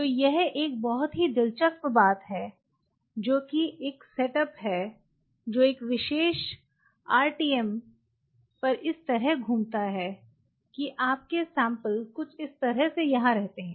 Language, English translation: Hindi, So, this is a very interesting thing which kind of you know it is a setup which rotates like this at a particular RTM, and you have your sample kind of kept somewhere out here